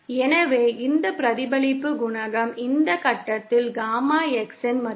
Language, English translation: Tamil, So, this reflection coefficient is the value of Gamma X at this point